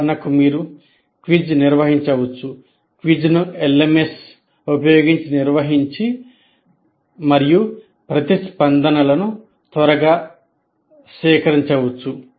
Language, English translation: Telugu, The quiz itself can be organized and conducted using a LMS and the responses can be collected quickly